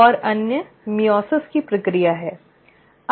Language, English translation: Hindi, And the other one is the process of meiosis